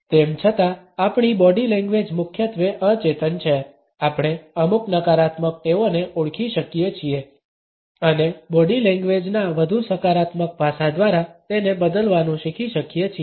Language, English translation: Gujarati, Even though, our body language is mainly unconscious we can identify certain negative habits and learn to replace them by a more positive aspect of body language